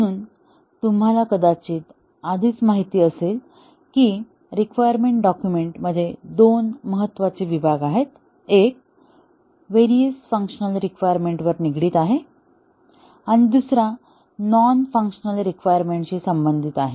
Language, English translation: Marathi, So as you might already know that in a requirements document, there are two important sections; one dealing with various functional requirements, and the other dealing with the non functional requirements